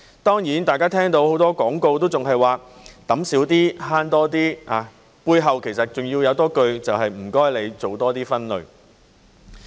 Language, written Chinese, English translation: Cantonese, 當然，大家聽到很多廣告都還是說"揼少啲慳多啲"，背後其實還有一句，就是"請你多做分類"。, Of course many advertisements are still telling us to dump less save more and behind it there is actually a line that reads more waste sorting please